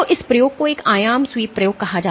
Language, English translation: Hindi, So, this experiment is called an amplitude sweep experiment